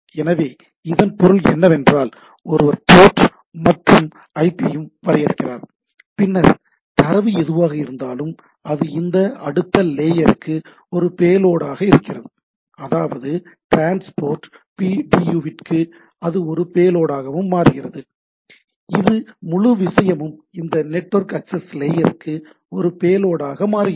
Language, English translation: Tamil, So to say that means, one defines the port and IP, and then whatever the data is there, it is being a payload to this next layer, that is for the transport video and it being becomes a payload, this whole thing becomes a payload to this network access layer